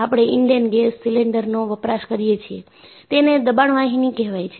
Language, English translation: Gujarati, You have the Indane gas cylinder, it is a pressure vessel